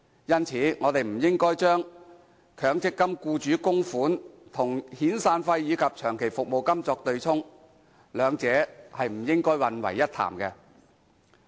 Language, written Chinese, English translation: Cantonese, 因此，我們不應該把強積金僱主供款與遣散費及長期服務金作對沖，兩者不應混為一談。, Therefore we should not use employers contributions to offset severance and long service payments as they should not be confused